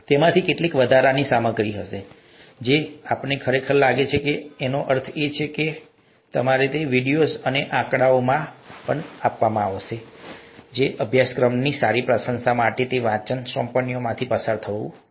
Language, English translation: Gujarati, Some of those would just be additional material, some of those we really feel, that means I really feel that you should see those videos and those figures and, and go through those reading assignments for a good appreciation of the course